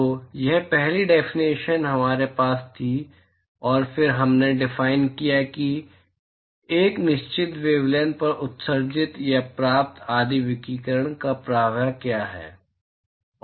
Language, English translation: Hindi, So, that is the first definition we had and then we defined what is the, that is the flux of radiation emitted or received etcetera at a certain wavelength